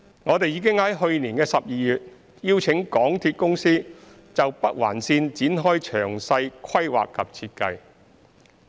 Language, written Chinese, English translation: Cantonese, 我們已在去年12月邀請香港鐵路有限公司就北環綫展開詳細規劃及設計。, In December last year we invited MTR Corporation Limited MTRCL to conduct the detailed planning and design of the Northern Link